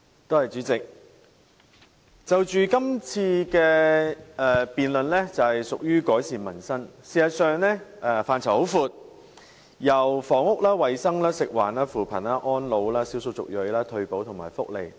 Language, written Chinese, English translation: Cantonese, 代理主席，這項辯論環節的主題是"改善民生"，事實上涉及非常廣闊的範疇，涵蓋房屋、衞生、食物及環境、扶貧、安老、少數族裔、退休保障和福利等。, Deputy President the theme of this debate session is Improving Peoples Livelihood . It actually covers a wide range of issues such as housing health food and environment poverty alleviation elderly care ethnic minorities retirement protection and welfare